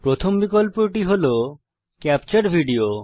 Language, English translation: Bengali, The first option is Capture Video